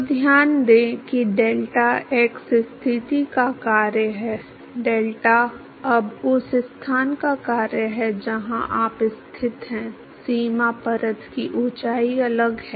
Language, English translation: Hindi, So, note that delta is the function of x position; delta is now function of the location depending upon where you are located the height of the boundary layer is different